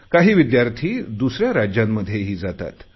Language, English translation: Marathi, Some people also go outside their states